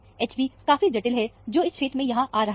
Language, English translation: Hindi, H b is fairly complex, which is coming in this region, here